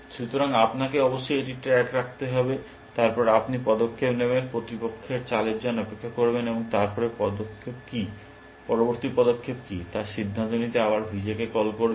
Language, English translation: Bengali, So, you must keep track of that then you will make the move, wait for opponents move, and then again make a call to V J to decide what is the next move